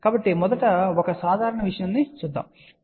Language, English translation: Telugu, So, let just go with a simple simple thing first